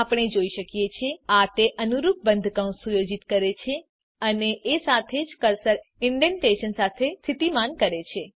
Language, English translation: Gujarati, We can see that it automatically sets the corresponding closing braces and also positions the cursor with indentation